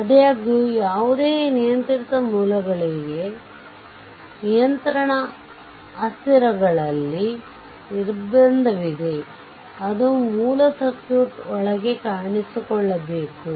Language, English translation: Kannada, However, restriction is there in the controlling variables for any controlled sources must appear inside the original circuit